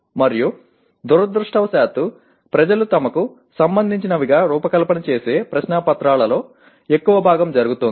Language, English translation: Telugu, And unfortunately that is what is happening in majority of the question papers that people design that they seem to be relevant